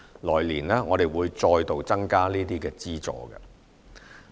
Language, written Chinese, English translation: Cantonese, 來年我們會再度增加這些資助。, We will further increase these subsidies the following year